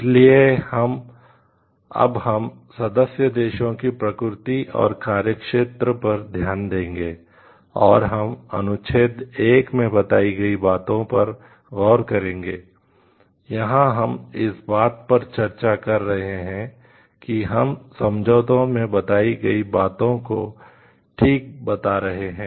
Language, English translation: Hindi, So, now we will see what is the nature and scope of the member countries and we will see like as mentioned in Article 1, here we have in this discussion we are putting forth exactly what is mentioned in the agreement